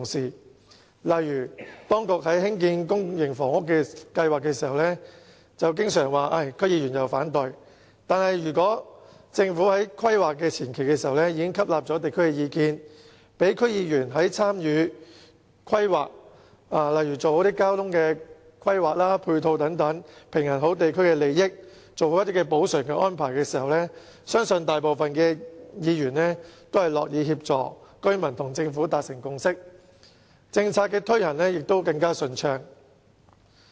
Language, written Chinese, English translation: Cantonese, 舉例而言，當局在興建公營房屋計劃時經常說受到區議員反對，但如果政府在規劃前期已經吸納地區意見，讓區議員參與規劃，例如交通和配套規劃，平衡地區利益，做好補償安排，相信大部分議員也會樂意協助居民與政府達成共識，這樣政策推行亦會更順暢。, For example when implementing public housing development programmes the authorities often say that they meet opposition from DC members . However had the Government taken on board the views of local communities at the preliminary planning stage and allowed DC members to play a part in planning for instance in the planning of transport and ancillary facilities so that a balance could be struck among local interests and a proper job of making compensatory arrangements could be done I believe most DC members would have been happy to assist residents in reaching a consensus with the Government . In this way the implementation of policies would have been smoother